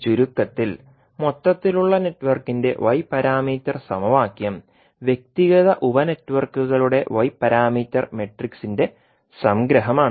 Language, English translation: Malayalam, So, in short we can write the Y parameter equation of overall network is the summation of Y parameter matrix of individual sub networks